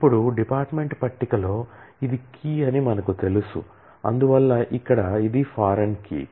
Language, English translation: Telugu, Now, we know that this is the key in the department table and therefore, here it is the foreign key